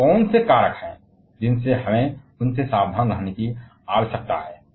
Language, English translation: Hindi, And what are the factors we need to be careful learning from them